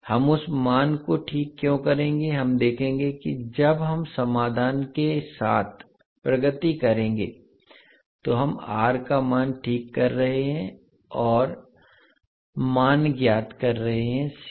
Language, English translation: Hindi, Why we will fix that value, we will see that when we will progress with the solution, that why we are fixing value of R and finding out value of C